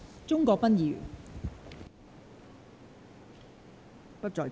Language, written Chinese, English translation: Cantonese, 鍾國斌議員不在席。, Mr CHUNG Kwok - pan is not present